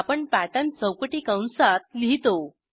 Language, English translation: Marathi, We write pattern within square brackets